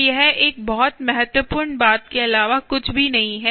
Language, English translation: Hindi, so it's nothing but a very important thing